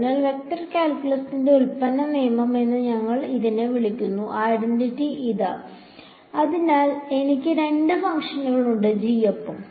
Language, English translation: Malayalam, So, here is the identity for what do we call this the product rule in vector calculus; so, I have two functions g and grad phi